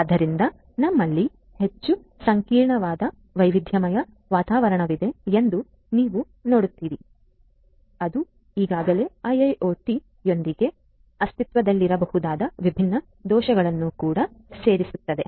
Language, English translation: Kannada, So, you see that we have a highly complex heterogeneous environment which also adds to the different vulnerabilities that might already exist with IIoT